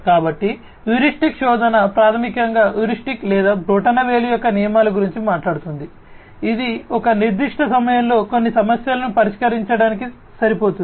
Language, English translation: Telugu, So, heuristic search basically talks about heuristics or rules of thumb being used to come up with solutions which will be good enough to solve certain problems at a certain point of time